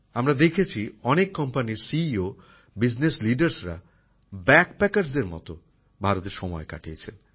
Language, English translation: Bengali, We have seen that CEOs, Business leaders of many big companies have spent time in India as BackPackers